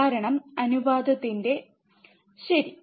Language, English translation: Malayalam, Because of the ratio, alright